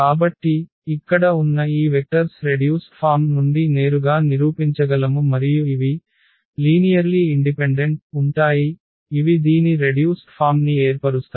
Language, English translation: Telugu, So, these vectors here one can easily prove directly from the reduced form that these are linearly independent, these are linearly independent that form the reduced form one can talk about this